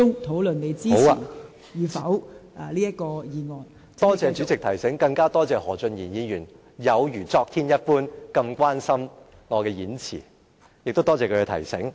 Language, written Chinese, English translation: Cantonese, 多謝代理主席提醒，更多謝何俊賢議員有如昨天一般那麼關心我的演辭，亦多謝他的提醒。, My thanks to the Deputy President for her advice . I also thank Mr Steven HO for paying so much attention to my speech today and yesterday . I wish to thank him for his reminder